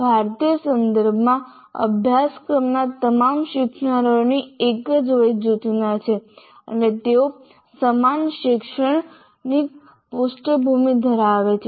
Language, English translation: Gujarati, So in our Indian context, this is more or less, that is all learners of a course belong to the same age group and they have similar academic background